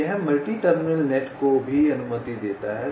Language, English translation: Hindi, so this allows multi terminal nets also